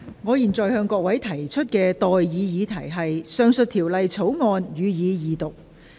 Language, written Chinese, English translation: Cantonese, 我現在向各位提出的待議議題是：《貨物銷售條例草案》，予以二讀。, I now propose the question to you and that is That the Sale of Goods Bill be read the Second time